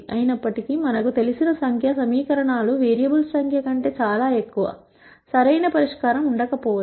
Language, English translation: Telugu, However, since we know that the number of equations are a lot more than the number of variables,there might not be a perfect solution